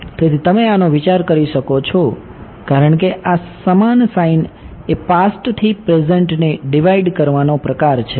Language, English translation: Gujarati, So, you can think of this as this equal to sign is sort of dividing the present from the past